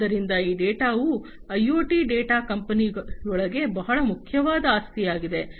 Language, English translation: Kannada, So, this data the IoT data is very important asset within the company